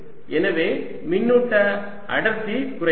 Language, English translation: Tamil, so charge density goes down